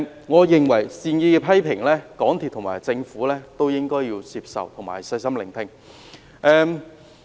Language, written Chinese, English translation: Cantonese, 我認為港鐵公司及政府應該接受及細心聆聽善意的批評。, I hold that MTRCL and the Government should accept and listen carefully to these well - intentioned criticisms